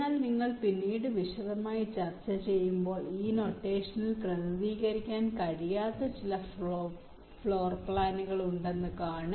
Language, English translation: Malayalam, but we shall see later when you discuss in detail that there are certain floorplans which cannot be represented in this notation, right